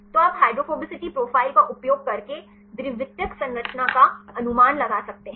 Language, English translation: Hindi, So, that you can predict the secondary structure using hydrophobicity profiles